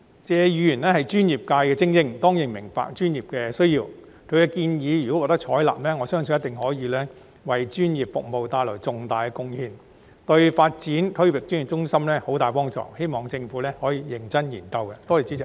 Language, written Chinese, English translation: Cantonese, 謝議員是專業界別的精英，當然明白專業的需要，如果他的建議能獲得採納，相信一定可為專業服務帶來重大的貢獻，對發展區域專業服務中心有莫大幫助，希望政府可認真加以研究。, Being an elite member of the professional sectors Mr TSE certainly understands the need of professional personnel and if his suggestions can be adopted they will surely make significant contributions to our professional services which will be of great help to the development of a regional professional services hub . I hope the Government will seriously consider these suggestions